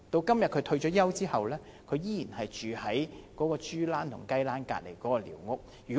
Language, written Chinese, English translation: Cantonese, 今天他退休後，依然住在豬欄和雞欄旁邊的寮屋。, After retirement now he still lives in the squatter hut next to the pig pen and chicken coop